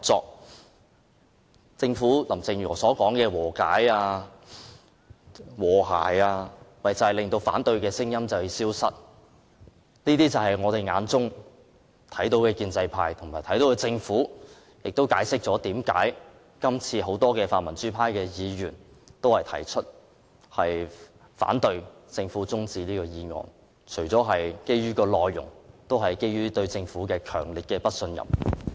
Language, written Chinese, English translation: Cantonese, 林鄭月娥政府所說的和解及和諧，其實是要令反對聲音消失，這便是我們眼中的建制派和政府，亦解釋了為何很多泛民主派議員反對政府提出的休會待續議案，除了是基於議案的內容，也基於對政府的強烈不信任。, The reconciliation and harmony that the Carrie LAM Government talks about is to silence the voices of the opposition . That is the pro - establishment camp and the Government in our eyes . That also explains why many pan - democratic Members oppose the adjournment motion moved by the Government not only because of the contents of the motion but also because they strongly distrust the Government